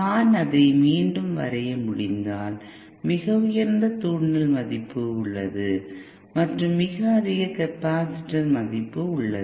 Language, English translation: Tamil, If I if I can draw it again There is a very high inductance value and there is a very high capacitance value